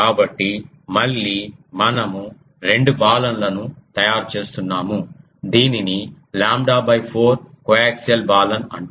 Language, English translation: Telugu, So, again that is we making the two Balun; this is called lambda by 4 coaxial Balun